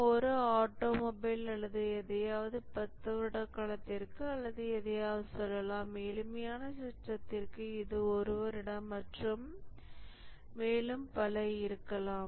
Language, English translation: Tamil, For a automobile or something it may be let's say for a period of 30 years or something and for a simpler system it may be one year and so on